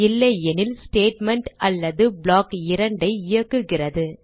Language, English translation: Tamil, Else, it executes Statement or block 2